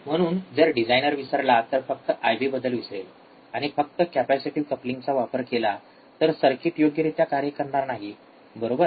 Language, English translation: Marathi, Ah so, if the designer forgets simply forgets about I B, if the circuit designer he forgets about the I B, and uses just a capacitive coupling the circuit would not work properly, right